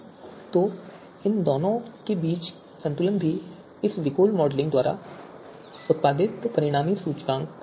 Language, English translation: Hindi, So balance between these two is also you know part of this VIKOR modelling and the resulting index that we produce